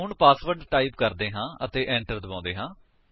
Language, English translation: Punjabi, Let us type the password and press Enter